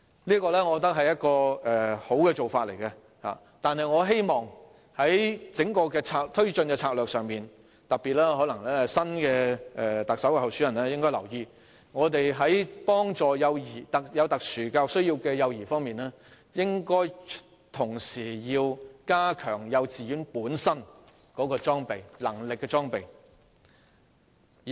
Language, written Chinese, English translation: Cantonese, 我覺得這是良好的做法，但我希望在推進整項策略時——可能特首候選人應該特別留意——為有特殊教育需要的幼兒提供協助時，應同時加強幼稚園本身的裝備，以提升幼稚園的能力。, I consider it a good approach but I hope that in taking forward the whole strategy―perhaps the Chief Executive aspirants should pay particular attention―when the Government provides assistance to SEN children it should at the same time make the kindergartens better equipped with a view to enhancing their abilities